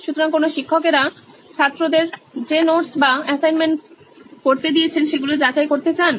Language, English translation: Bengali, So, why do teachers want to verify the notes or assignments that they have asked the students to do